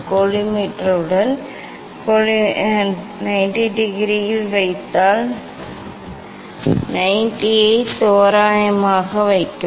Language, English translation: Tamil, place the 90 approximately, if I place at 90 degree with the collimator with the collimator